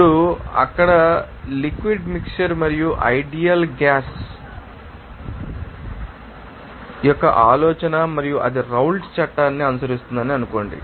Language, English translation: Telugu, Now, assume that idea liquid mixture and ideal gas there and it will follow that Raoult’s Law